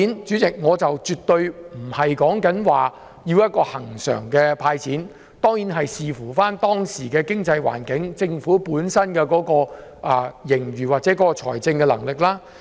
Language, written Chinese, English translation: Cantonese, 主席，我說的絕對不是要恆常"派錢"，而是要視乎當時的經濟環境、政府本身的盈餘或財政能力。, Chairman I am definitely not saying that giving cash handouts should become a recurrent practice . The Government should give due consideration to the prevailing economic environment the extent of its surplus or its fiscal capacity before doing so